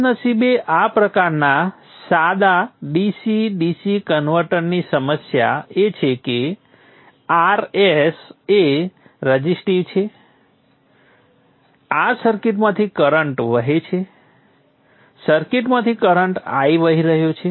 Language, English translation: Gujarati, Unfortunately the problem with this type of simple DC DC converter is that RS is resistive, there is a current flowing through this circuit